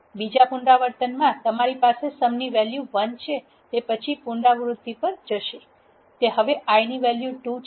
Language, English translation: Gujarati, In the second iteration you have the value sum as one it will go to the next iteration; that is now the i value is 2